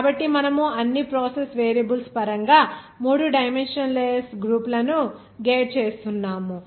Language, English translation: Telugu, So we are gating three dimensionless groups in terms of all the process variables